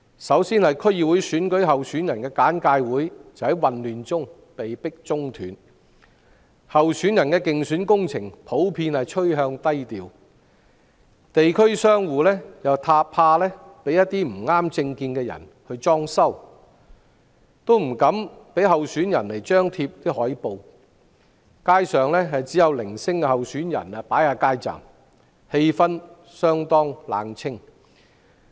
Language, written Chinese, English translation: Cantonese, 首先，區議會選舉候選人的簡介會在混亂中被迫中斷；候選人的競選工程普遍趨向低調，地區商戶怕被不合政見的人"裝修"，於是不敢讓候選人張貼海報；街上只有零星候選人擺設街站，氣氛相當冷清。, First of all the briefing session for candidates of the DC Election was forced to abort amidst chaos; the candidates election campaigns generally tend to be low - profile as shops in the districts dare not allow candidates to display posters for fear of being renovated by people with different political views; only a few candidates have set up street booths and the atmosphere is desolate